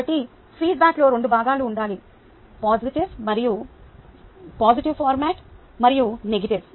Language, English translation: Telugu, ok, so feedback should include both components, positive as well as negative